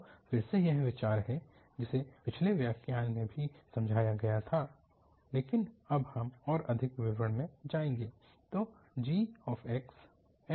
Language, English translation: Hindi, So, this is the idea again which was also explained in the previous lecture but now we will go into more details